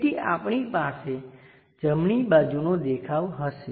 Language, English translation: Gujarati, So, we will have right side view